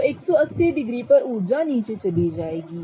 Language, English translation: Hindi, So at 180 degrees the energy will go down